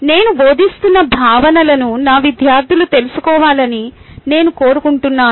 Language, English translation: Telugu, i want my students to know the concepts that i am teaching